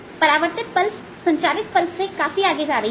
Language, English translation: Hindi, the reflected pulse is going to be much farther than the transmitted pulse